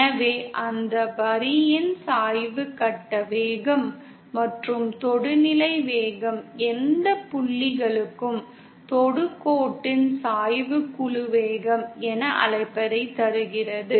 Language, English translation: Tamil, So the slope of that line is the phase velocity and the tangential velocity, slope of the tangent to any point gives what you call as group velocity